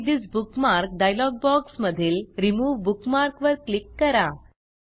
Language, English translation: Marathi, From the Edit This Bookmark dialog box, click the Remove Bookmark button